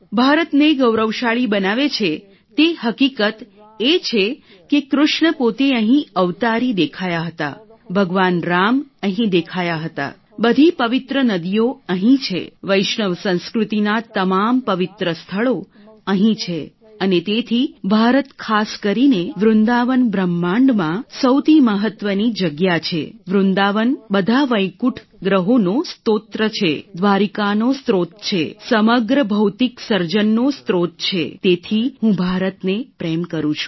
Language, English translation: Gujarati, What makes India glorious is the fact that Krishna himself the avatari appeared here and all the avatars appeared here, Lord Shiva appeared here, Lord Ram appeared here, all the holy rivers are here, all the holy places of Vaishnav culture are here and so India especially Vrindavan is the most important place in the universe, Vrindavan is the source of all the Vaikunth planets, the source of Dwarika, the source of the whole material creation, so I love India